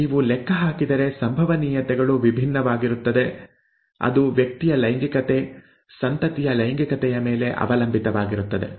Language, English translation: Kannada, The probabilities would be different if you calculate, it is it is dependent on the sex of the person, sex of the offspring